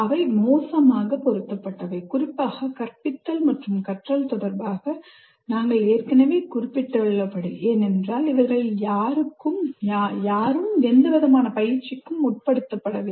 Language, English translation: Tamil, And they're ill equipped, particularly with respect to teaching and learning, which we have already mentioned because none of them need to undergo any kind of train